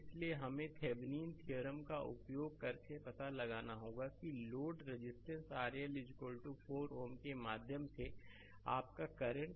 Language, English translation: Hindi, So, we have to find out using Thevenin’s theorem that your current through load resistance R L is equal to 4 ohm